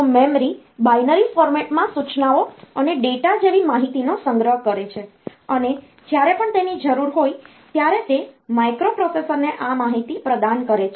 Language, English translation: Gujarati, So, memory stores information such as instructions and data in binary format and it provides this information to the microprocessor whenever it is needed